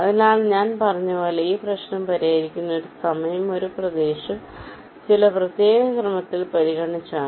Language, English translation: Malayalam, ok, so this problem, as i said, is solved by considering one region at a time, in some particular order